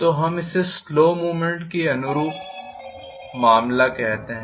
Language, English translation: Hindi, So, we call this as the case corresponding to slow movement